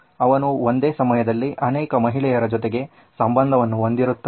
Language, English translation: Kannada, He had many relationships going on at the same time